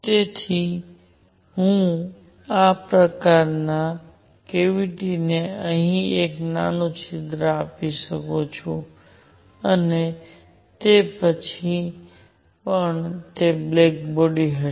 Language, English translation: Gujarati, So, I could have this cavity of this shape have a small hole here and even then it will be a black body